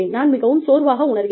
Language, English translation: Tamil, I am tired